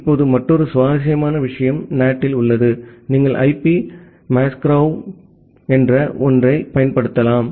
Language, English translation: Tamil, Now another interesting thing is in NAT is that you can utilize something called IP masquerading